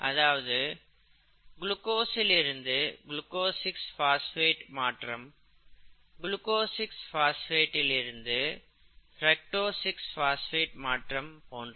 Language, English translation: Tamil, However, the conversion from one carbohydrate to another, glucose to glucose 6 phosphate, glucose 6 phosphate to fructose 6 phosphate and so on so forth